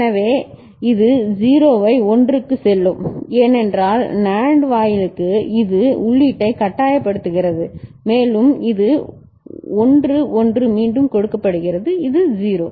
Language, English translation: Tamil, So, that will make this 0 go to 1 because for the NAND gate this is forcing input and this 1, 1 fed back it is 0